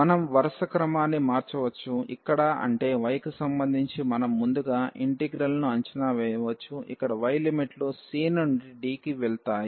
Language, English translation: Telugu, We can change the order; here meaning that we can first evaluate the integral with respect to y, where the limits of y will go from c to d